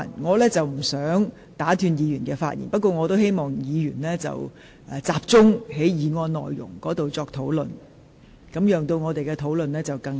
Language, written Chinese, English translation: Cantonese, 我不想打斷議員發言，但希望議員集中討論議案的內容，使辯論更為聚焦。, I do not wish to interrupt Members speeches but I hope Members will concentrate on the content of the motion so that the debate can be more focused